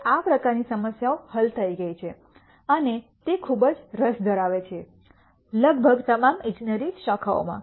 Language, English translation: Gujarati, Now, these types of problems have been solved and are of large interest in almost all engineering disciplines